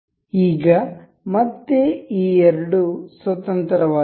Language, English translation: Kannada, Now at again both of these are free